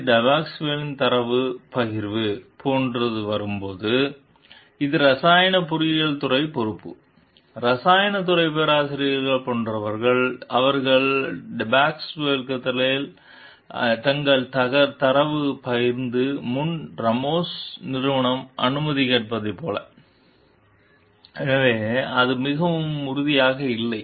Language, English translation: Tamil, So, when it comes to like sharing the data with Depasquale; it is responsibility of the chemical engineering department, chemical department professors like, we are not very sure over here that, whether like they have asked the Ramos s company for permission before sharing their data with Depasquale